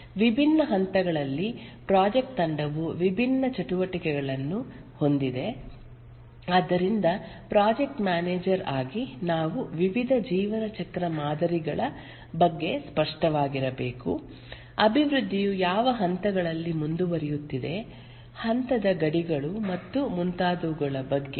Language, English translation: Kannada, At different stages, the project team carries out different activities and therefore as a project manager we must be clear about the various lifecycle models, what are the stages through which the development proceeds, the stage boundaries and so on